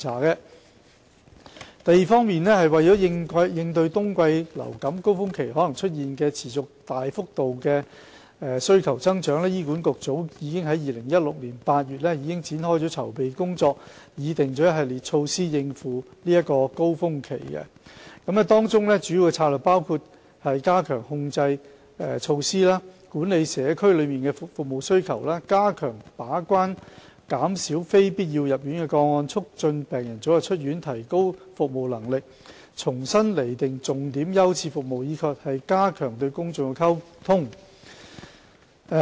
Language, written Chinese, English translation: Cantonese, 二為應對冬季流感高峰期可能出現的持續及大幅度服務需求增長，醫管局早在2016年8月已開展籌備工作，並擬定一系列措施以應付高峰期，其中主要的策略包括加強感染控制措施、管理社區內的服務需求、加強把關減少非必要入院的個案、促進病人早日出院、提高服務能力、重新釐定重點優次服務，以及加強與公眾的溝通。, 2 To cope with the continuous and dramatic increase in service demand that may happen during the winter surge HA started to make preparation in August 2016 . It has drawn up a series of measures to address the surge . The major strategies include enhancing infection control measures managing service demand in the community strengthening gate - keeping measures to reduce unnecessary hospitalization improving patient flow optimizing service capacity reprioritizing core services and enhancing communication with the public